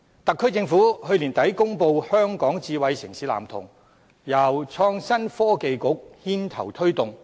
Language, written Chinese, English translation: Cantonese, 特區政府去年年底公布《香港智慧城市藍圖》，由創新及科技局牽頭推動。, At the end of last year the SAR Government released the Smart City Blueprint for Hong Kong which is spearheaded by the Innovation and Technology Bureau